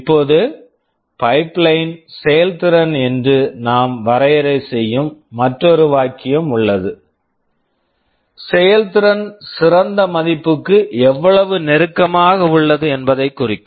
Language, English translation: Tamil, Now, there is another term we define called pipeline efficiency; how much is the performance close to the ideal value